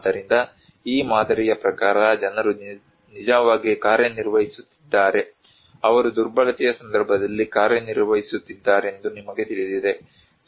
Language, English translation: Kannada, So, according to this model, people are actually operating, you know they are working in a context of vulnerability